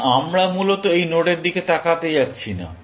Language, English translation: Bengali, So, we are not going to look at this node, essentially